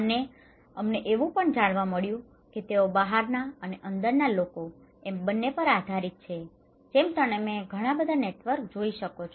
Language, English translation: Gujarati, And we also found that they are depending on outsiders and also insiders okay, like here you can see a lot of networks, a lot of there